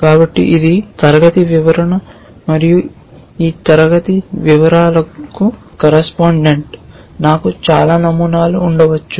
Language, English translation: Telugu, So, this is a, this is a class description and correspondent to this class description I may have several patterns